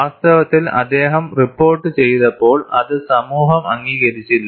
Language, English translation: Malayalam, In fact, when he reported, it was not accepted by the community; it was rejected also